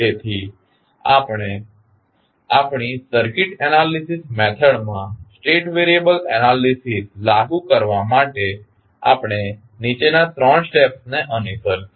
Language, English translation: Gujarati, So, to apply the state variable analysis to our circuit analysis method we follow the following three steps